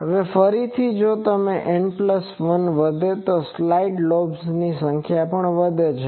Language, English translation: Gujarati, Now, again if N plus 1 increases, the number of side lobes also increases